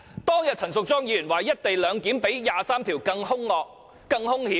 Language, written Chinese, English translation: Cantonese, 當天陳淑莊議員說"一地兩檢"較《基本法》第二十三條立法更兇惡、更兇險。, On the other day when Ms Tanya CHAN said co - location was even more fearsome and dangerous than Article 23 of the Basic Law I somewhat disagreed with her